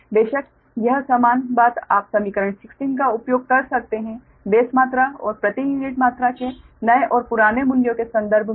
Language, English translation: Hindi, you can use equation sixteen, that in terms of new and old values of the base quantities and the per unit quantities